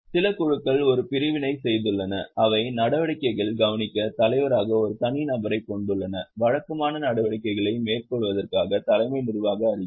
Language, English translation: Tamil, Some of the groups have done a separation that have a separate person as chairperson to overlook the activities, CEO for regular conduct of activities